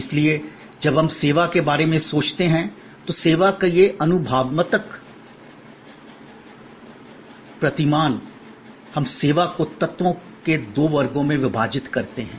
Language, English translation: Hindi, Therefore, when we think of service, this experiential paradigm of service, we divide the service into two classes of elements